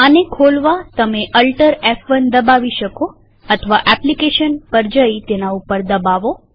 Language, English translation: Gujarati, To open this, you can press Alt+F1 or go to applications and click on it